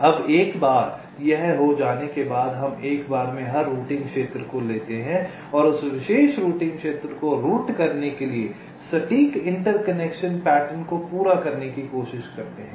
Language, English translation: Hindi, now, once this is done, we take every routing regions, one at a time, and try to complete the exact inter connection patterns to route that particular routing region